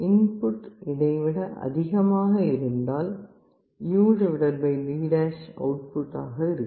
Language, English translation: Tamil, If the input is greater than this, the U/D’ output will be 1